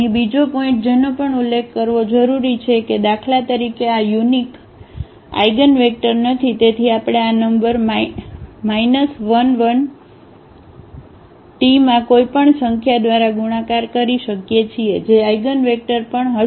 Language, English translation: Gujarati, Second point here which also needs to be mention that this is not the unique eigenvector for instance; so, we can multiply by any number to this minus 1 1 that will be also the eigenvector